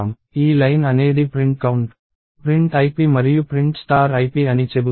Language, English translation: Telugu, So, this line is saying print count, print ip and print star ip